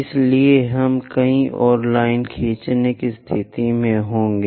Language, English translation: Hindi, So, we will be in a position to draw many more lines